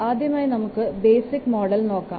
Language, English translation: Malayalam, Let's see about first the basic model